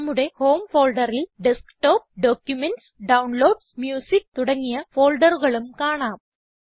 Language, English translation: Malayalam, In our Home folder, we can see other folders such as Desktop, Documents, Downloads, Music,etc